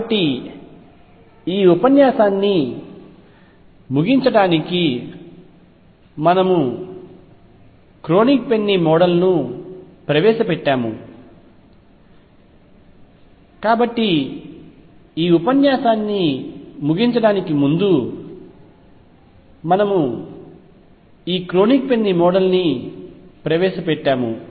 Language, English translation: Telugu, So, to conclude this lecture we have introduced Kronig Penney Model